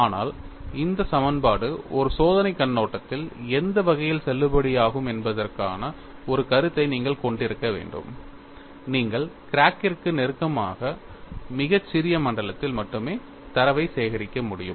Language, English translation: Tamil, But, you will have to have a concept, that what way, this equation could be valid from an experimental point of view is, you are able to collect data, only a very small zone close to the crack tip